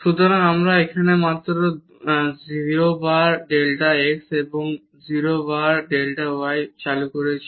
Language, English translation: Bengali, So, we have just introduced here 0 times delta x and 0 times delta y